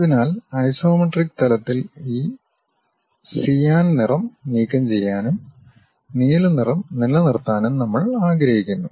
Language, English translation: Malayalam, So, at isometric level we want to remove this cyan color and retain the blue color